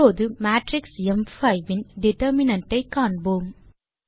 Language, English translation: Tamil, Now let us find out the determinant of a the matrix m5